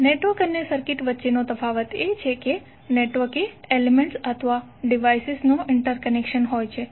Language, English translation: Gujarati, The difference between a network and circuit is that the network is and interconnection of elements or devices